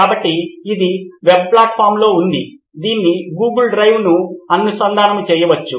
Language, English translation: Telugu, So this is on web platform right, it can be linked to google drive